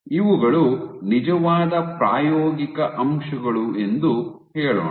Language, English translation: Kannada, So, these are your actual experimental points